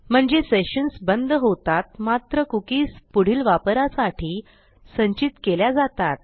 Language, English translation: Marathi, So sessions are killed straight away however cookies are stored for later use